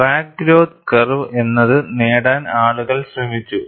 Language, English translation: Malayalam, People have attempted to get what are known as crack growth curve